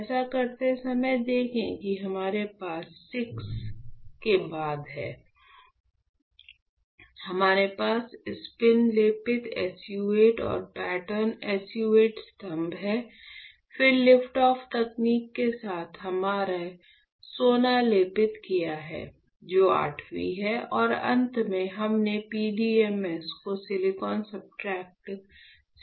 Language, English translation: Hindi, When you perform this, then you see we have after VI, we have now coated we had deposit we have spin coated SU 8 and pattern SU 8 pillars; then with liftoff technique, we have coated gold right, which is VIII and finally, we have stripped off the PDMS from a silicon substrate